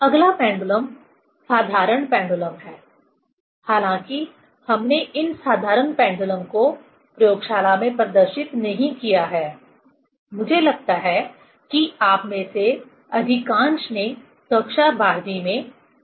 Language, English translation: Hindi, Next pendulum, simple pendulum, although we have not demonstrated these simple pendulum in a laboratory, I think most of you have done this experiment in class 12